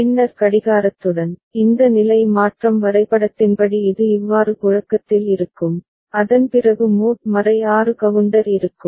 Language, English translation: Tamil, And then with clocking, it will keep circulating like this as per this state transition diagram and mod 6 counter will be there, after that